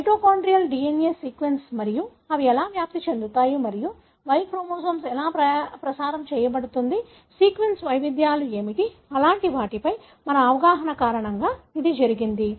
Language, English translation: Telugu, It was all because of our understanding of the mitochondrial DNA sequence and how they are transmitted and how the Y chromosome is transmitted, what are the sequence variations